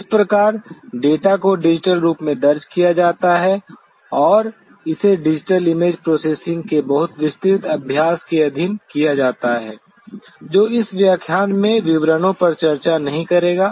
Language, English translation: Hindi, That is how the data are recorded in digital form and are subjected to very elaborate exercise of digital image processing which will not be discussing in details in this lecture